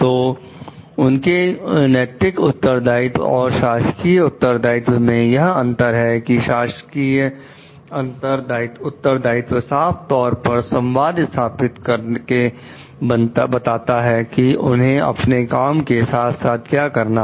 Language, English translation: Hindi, The difference between their moral responsibility and official responsibility is that official responsibility is clearly stated to someone by communicating, what they are supposed to do with their job